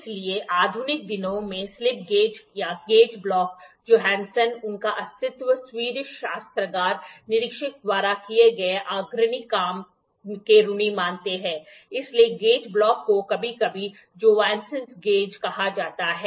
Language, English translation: Hindi, However, in modern days slip gauges or gauge blocks owe their existence to the pioneering work done by Johansson, a Swedish armoury inspector therefore, the gauge block is sometime called as Johanasson’s gauge